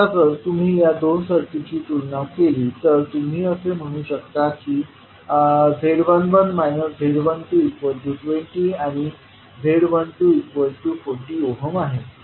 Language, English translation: Marathi, Now, if you compare these two circuits you can say that Z11 minus Z12 is simply equal to 20 ohm and Z12 is 40 ohms